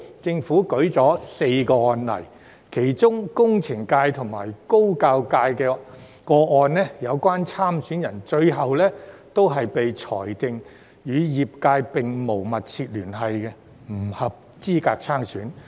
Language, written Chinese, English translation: Cantonese, 政府舉出4宗案例，其中工程界及高等教育界的個案，有關參選人最後被裁定與業界並無"密切聯繫"，不合資格參選。, In response the Government cited four cases . In the cases of the engineering and higher education sectors the candidates were found to have no substantial connection with the sectors and thus ineligible to stand for the election